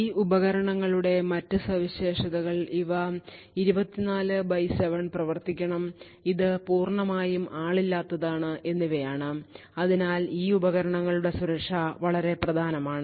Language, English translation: Malayalam, Other features of these devices is that it has to operate 24 by 7 and it is completely unmanned and therefore the security of these devices are extremely important